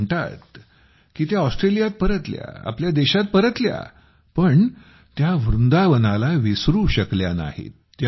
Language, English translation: Marathi, She says that though she returned to Australia…came back to her own country…but she could never forget Vrindavan